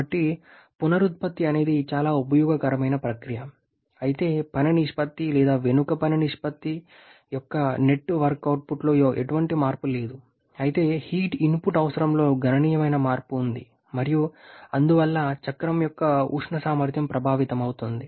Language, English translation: Telugu, So regeneration is very useful process though there is no change in a net work output of work ratio back work ratio, but there is significant change in the heat input requirement and hence the thermal efficiency of the cycle